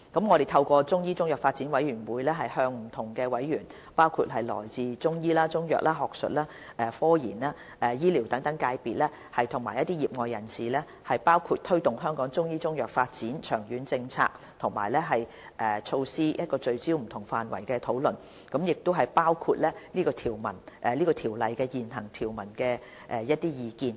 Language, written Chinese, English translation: Cantonese, 我們會透過中醫中藥發展委員會，向不同委員，包括中醫、中藥、學術、科研、醫療等界別和業外人士，就推動香港中醫中藥發展的長遠政策及措施聚焦進行不同範圍的討論，包括對《條例》現行條文的意見。, Through the Chinese Medicine Development Committee we will hold discussions focusing on different areas with its members from various sectors including Chinese medicine practitioners Chinese medicine academic scientific research health care and so on and solicit their views on the long - term policy and measures for promoting the development of Chinese medicine including the existing provisions of CMO